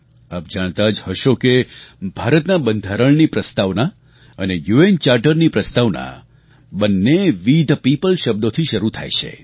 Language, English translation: Gujarati, You may be aware that the preface of the Indian Constitution and the preface of the UN Charter; both start with the words 'We the people'